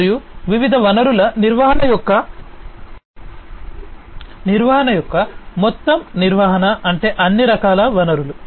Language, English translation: Telugu, And the overall management of the different resources resource management means all kinds of resources